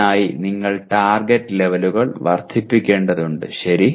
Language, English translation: Malayalam, So you have to increase the target levels for that, okay